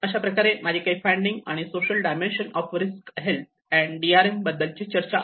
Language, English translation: Marathi, And I was in one of the discussion where the social dimension of risk and health and DRM